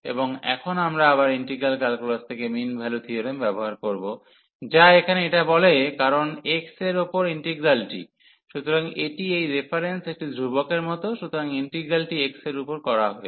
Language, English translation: Bengali, And now we will use the again the mean value theorem from integral calculus, which says that this here because the integral is over x, so this like a constant in this reference, so integral is over x